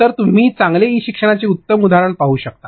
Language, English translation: Marathi, So, these were examples of good e learning